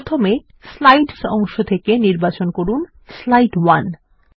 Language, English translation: Bengali, First, from the Slides pane, lets select Slide 1